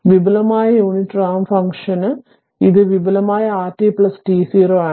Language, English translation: Malayalam, For the advanced unit ramp function right, this is for advanced r t plus t 0